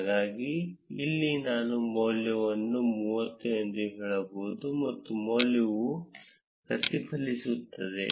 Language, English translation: Kannada, So, here I can change the value to be say 30 and the value gets reflected